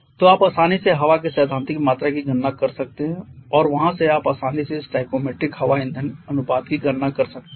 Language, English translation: Hindi, So, you can easily calculate the theoretical quantity of air and from there you can easily calculate the stoichiometric air fuel ratio